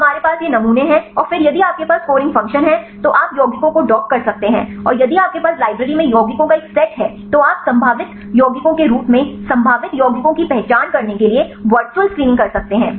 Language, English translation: Hindi, So, we have these sampling and then if you have the scoring function, then you can dock the compounds and if you have a set of compounds in library you can do the virtual screening right to identify the probable compounds as the potentially it compounds right